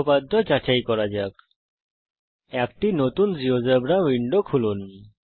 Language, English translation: Bengali, Lets verify the theorem Lets open a new Geogebra window.click on File New